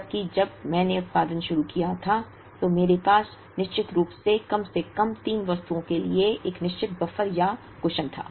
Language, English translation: Hindi, Whereas, here I certainly had a certain buffer or a cushion for at least three items when I started production